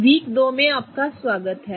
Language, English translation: Hindi, Welcome to week two